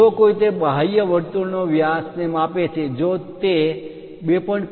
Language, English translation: Gujarati, If someone measure the diameter of that outer circle, if it is 2